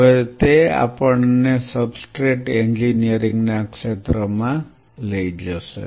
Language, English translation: Gujarati, Now that will take us to the domain of substrate engineering